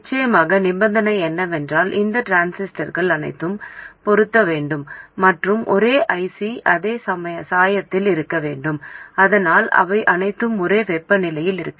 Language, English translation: Tamil, Of course the condition is that all these transistors must be massed and must be on the same IC, same dye, so that they are all at the same temperature and so on